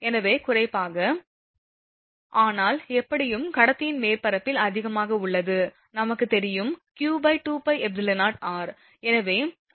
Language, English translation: Tamil, So, particular the, but anyway at the surface of the conductor is higher, we know that q upon 2 pi epsilon 0 into r